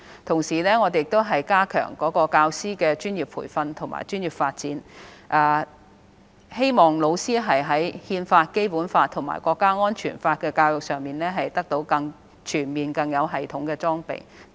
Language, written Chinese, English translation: Cantonese, 同時，我們亦加強教師的專業培訓和專業發展，希望老師在《憲法》、《基本法》和《香港國安法》的教育上得到更全面及更有系統的裝備。, Meanwhile we are working on the enhancement of teachers professional training and development in the hope that they can be provided with training on the Constitution the Basic Law and NSL in a more comprehensive and systematic manner